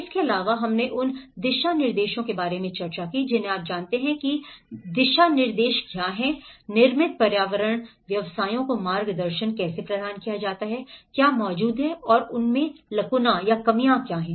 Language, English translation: Hindi, Also, we did discussed about the guidelines you know what are the guidelines, how the guidance has been provided to the built environment professions, what is existing and what is their lacuna